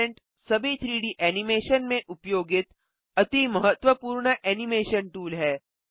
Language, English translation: Hindi, Parentis the most important animation tool used in all 3D animation softwares